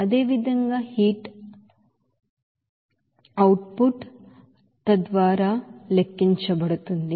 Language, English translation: Telugu, Similarly, heat output that will be calculated as per thus